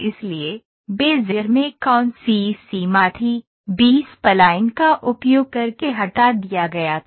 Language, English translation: Hindi, So, what limitation was there in Bezier, was removed by using B spline